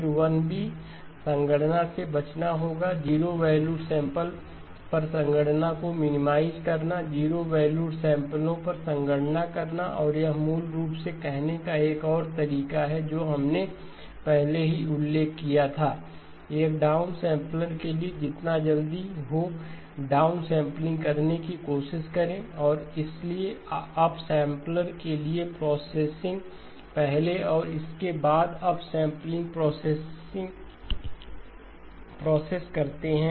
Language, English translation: Hindi, Then 1b, will be avoid computations, minimize computations on 0 valued samples, computations on 0 valued samples and this basically is another way of saying what we had already mentioned; for a down sampler, try to do the down sampling as early as possible and therefore and then the processing for the up sampler do the processing first and then the up sampling process, so that way you will satisfy 1a and 1b and that will give us an overall efficient implementation okay